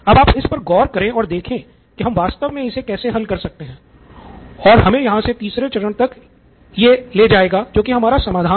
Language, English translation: Hindi, So you are going to look at this and see how might we actually solve this, which leads us to the third stage which is solution